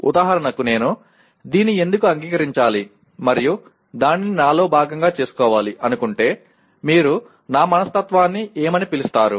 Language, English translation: Telugu, For example why should I accept this and make it part of my, what do you call my mindset